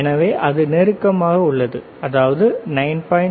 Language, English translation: Tamil, So, it is close it is close all, right 9